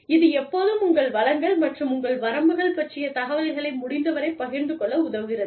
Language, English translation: Tamil, It always helps to share, as much information, about your resources, and your limitations, as possible